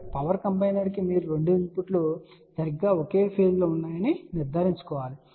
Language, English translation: Telugu, So, as a power combiner you have to ensure that the 2 inputs are exactly at the same phase ok